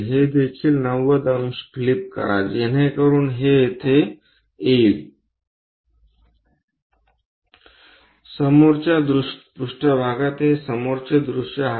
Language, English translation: Marathi, flip this one also 90 degrees so that this will come here folding frontal plane this is the front view